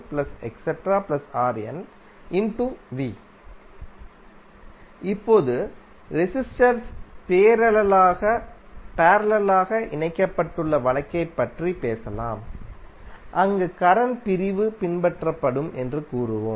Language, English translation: Tamil, Now, let us talk about the case where the resistors are connected in parallel, there we will say that the current division will be followed